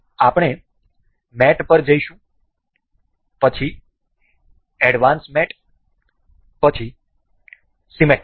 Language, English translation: Gujarati, We will go to mate and we will go to advanced mate, then symmetric